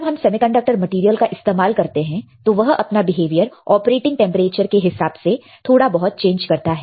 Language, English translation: Hindi, And when you are using semiconductor material it has air it will change, it will slightly change its behavior with change in the operating temperature